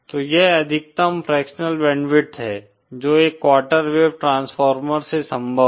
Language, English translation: Hindi, So this is the maximum fractional band width that is possible from a quarter wave transformer